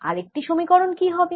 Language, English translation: Bengali, what about one more equation